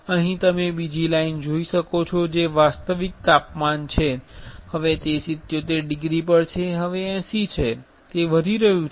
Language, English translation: Gujarati, Here you can see another line that is the actual temperature, now it is at 77 degree, now 80, it is increasing